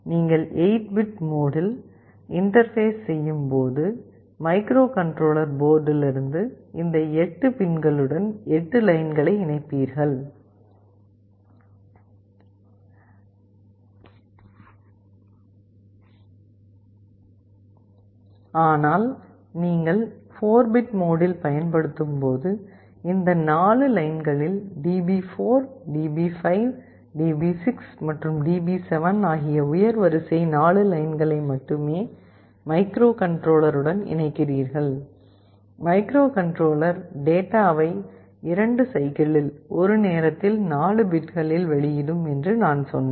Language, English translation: Tamil, When you are interfacing in the 8 bit mode, you will be connecting 8 lines from the microcontroller port to these 8 pins, but when you are using the 4 bit mode then you need to connect only 4 of these lines D4, DB5, DB6 and DB7, you only connect the high order 4 lines to the microcontroller; and as I said the microcontroller will be outputting the data in 2 cycles, 4 bits at a time